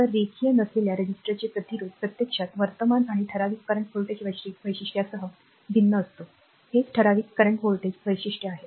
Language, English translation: Marathi, So, resistance of a non linear resistor actually varies with current and typical current voltage characteristic is this is the typical current voltage characteristic